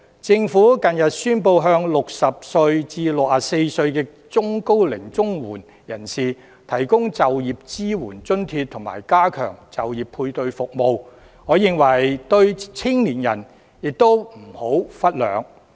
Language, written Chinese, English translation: Cantonese, 政府近日宣布向60歲至64歲中高齡綜援人士提供就業支援津貼，以及加強就業配對服務，我認為對青年亦不能忽略。, The Government has recently announced the provision of employment support allowance to middle - aged and elderly Comprehensive Social Security Assistance recipients aged between 60 and 64 in addition to strengthening job placement service . In my view young people should not be neglected as well